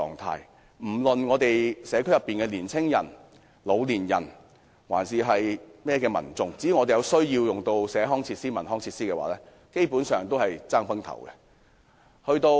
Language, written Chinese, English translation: Cantonese, 區內的青年人、老年人或其他民眾，如有需要使用社區設施或文康設施，也要拼個你死我活。, If young people the elderly or other members of the public in the district want to use community facilities or cultural and leisure facilities they have to compete intensely